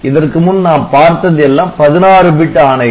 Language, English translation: Tamil, So, so previously we had all 16 bit instructions